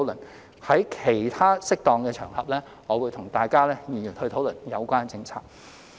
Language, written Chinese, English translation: Cantonese, 我會在其他適當的場合再與各位議員討論有關政策。, I will discuss the policy with Members on other suitable occasions